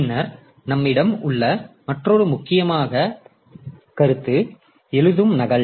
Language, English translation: Tamil, Then another very important concept that we have is the copy on write